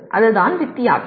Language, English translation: Tamil, That is the difference